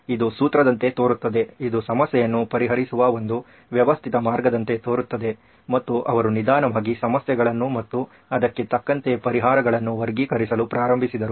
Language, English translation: Kannada, This sounds like a way to solve it, a very systematic way to solve it and he slowly started categorizing the problems and the solutions accordingly